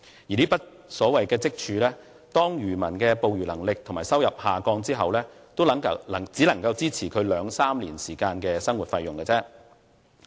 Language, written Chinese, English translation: Cantonese, 而這筆所謂積儲，當漁民的捕魚能力和收入下降後，也只能支持其兩三年時間的生活費用。, And the so - called savings can only last for two to three years if the fisherman becomes frail or the fishery drops